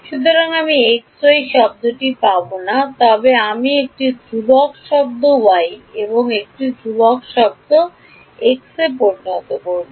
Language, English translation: Bengali, So, I will not get a x; x y term but I will get a constant term x into y